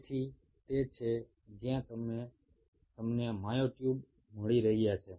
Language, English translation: Gujarati, so thats where you are getting myotubes